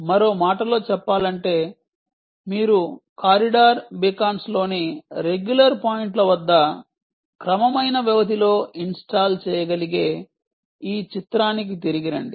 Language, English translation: Telugu, in other words, come back to this picture: you could be installing at regular intervals, at regular points in the corridors, beacons